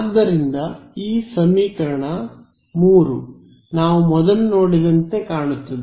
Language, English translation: Kannada, So, does this equation 3 look like does it look like something that we have seen before